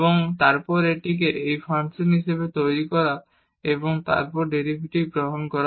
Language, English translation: Bengali, And, then making this as a function of t and then taking the derivative